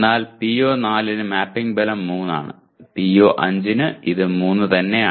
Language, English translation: Malayalam, And for PO4 the mapping strength is 3 and for PO5 also it is strength is 3